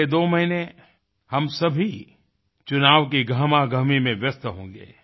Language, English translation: Hindi, In the next two months, we will be busy in the hurlyburly of the general elections